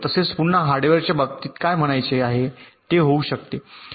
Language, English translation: Marathi, well, again, in terms of the hardware, what can be the reason